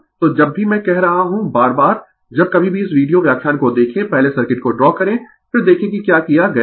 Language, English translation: Hindi, So, whenever you I tell again and again whenever look in to this video lecture first you draw the circuits, then you look what has been done